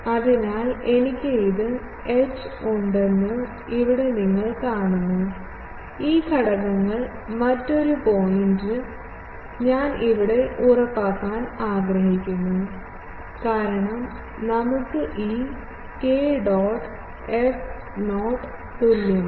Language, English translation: Malayalam, So, here you see that I have this components, another point, I want to emphasize that since, we have this k dot f is equal to 0